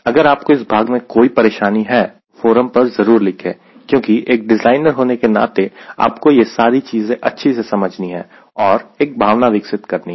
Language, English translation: Hindi, if you have any problem in this part, do write in the forum, because as a designer, you need to understand these things very clearly and develop a feel typical values